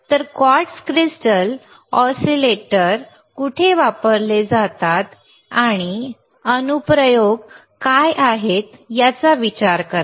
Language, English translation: Marathi, So, think about where this quartz crystal oscillators are used, and what are the applications are what are the applications of quartz crystal oscillator and